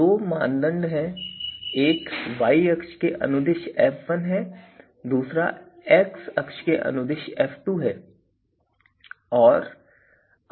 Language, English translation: Hindi, So, these are two criteria criteria: one is f1 along y axis then other f2 along x axis